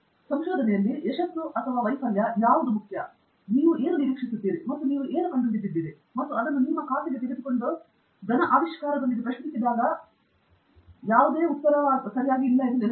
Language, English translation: Kannada, But remember there is nothing like success or failure in research, what is important is, what you expect and what you have discovered, and taking that into your account and coming up with the solid discovery, with the solid answer to a question